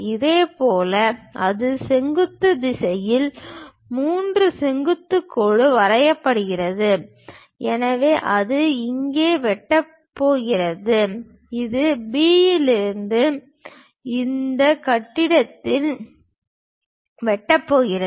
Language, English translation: Tamil, Similarly it goes intersect there from 3 drop a perpendicular line in the vertical direction so it is going to intersect here, it is going to intersect at this point from B